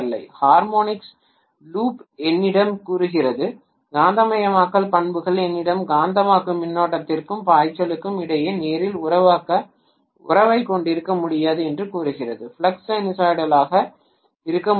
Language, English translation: Tamil, The hysteresis loop tells me, the magnetization characteristics tells me that I can’t have linear relationship between magnetizing current and flux, the flux cannot be sinusoidal